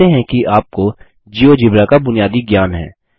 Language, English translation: Hindi, We assume that you have the basic working knowledge of Geogebra